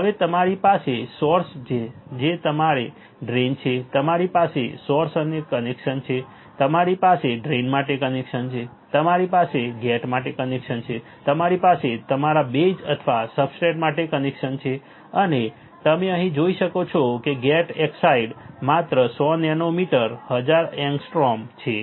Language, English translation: Gujarati, Now you have source you have drain you have connection for source, you have connection for drain you have connection for a gate you have connection for your base or substrate right and you can see here the gate oxide is only 100 nanometre 1000 angstrom